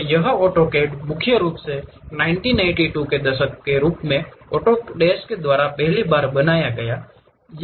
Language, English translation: Hindi, And this AutoCAD is mainly first created by Autodesk, as early as 1982